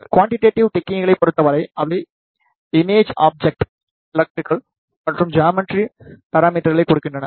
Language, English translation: Tamil, In case of quantitative techniques, they give the electrical and the geometrical parameters of the image object